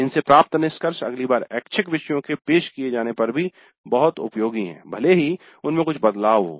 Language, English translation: Hindi, The conclusions are still useful for the delivery of the elective next time it is offered even if there are some changes